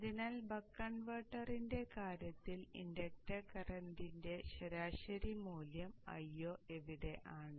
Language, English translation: Malayalam, This is so for the case of the buck converter where the average value the inductor current is i